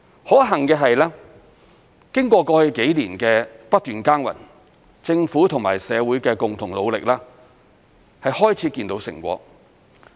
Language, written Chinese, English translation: Cantonese, 可幸的是，經過過去幾年的不斷耕耘，政府和社會的共同努力已漸見成果。, Fortunately after continuous hard work in the past few years the joint efforts of the Government and society have gradually yielded results